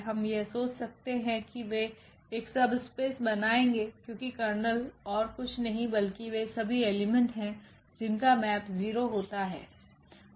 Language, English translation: Hindi, We can think that they will form a subspace because the kernel was nothing but all the elements here which maps to 0